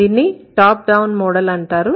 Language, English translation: Telugu, This is called the top down model